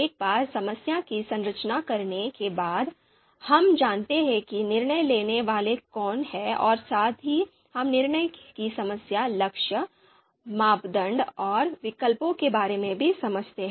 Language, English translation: Hindi, So once we have done our problem structuring, so we know the decision makers, we understand the decision problem, goal, criteria and alternatives